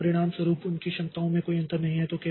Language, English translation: Hindi, So as a result, there is no distinction between their capabilities